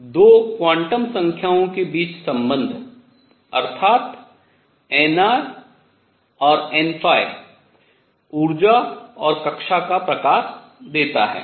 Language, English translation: Hindi, And the relationship between 2 quantum numbers namely n r and n phi gives the energy and the type of orbit